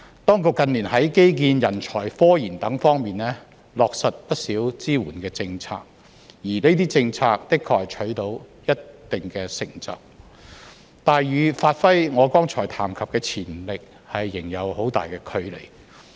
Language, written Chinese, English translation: Cantonese, 當局近年在基建、人才、科研等方面落實不少支援政策，而這些政策的確取得了一定成就，但與發揮我剛才談及的潛力，仍有很大距離。, In recent years many support policies have been rolled out in areas like infrastructure talent as well as research and development RD . While these policies have indeed made certain achievements there are still a long way to go before the potential that I mentioned just now can be realized